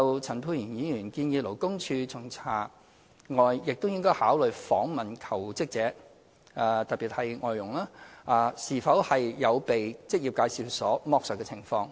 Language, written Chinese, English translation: Cantonese, 陳沛然議員建議勞工處除巡查外，亦應考慮訪問求職者，特別是外傭，是否有被職業介紹所剝削的情況。, Dr Pierre CHAN suggested that in addition to inspection LD should consider questioning jobseekers especially foreign domestic workers to find out whether they have been exploited by employment agencies